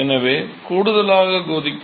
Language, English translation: Tamil, So in boiling in addition to